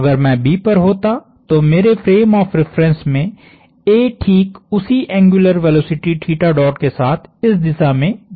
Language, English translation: Hindi, If I was at B, A in my frame of reference would be going in this direction at exactly the same angular velocity theta dot